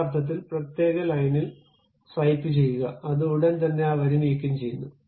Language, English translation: Malayalam, In that sense, you just swipe on particular line; it just immediately removes that line